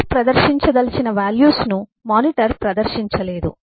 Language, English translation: Telugu, monitor would not be able to display the values that the cpu want to display